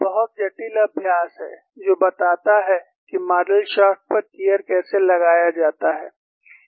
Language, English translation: Hindi, Very complicated exercise, which models even how the gear is mounted on a shaft